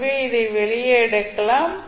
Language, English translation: Tamil, So you can take this out